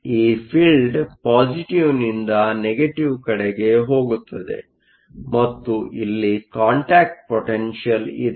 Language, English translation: Kannada, The field goes from positive to negative and there is a contact potential